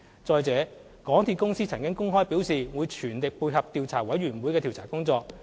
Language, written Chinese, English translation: Cantonese, 再者，港鐵公司曾公開表示會全力配合調查委員會的調查工作。, Moreover MTRCL has already expressed publicly that it would cooperate with the Commissions inquiry work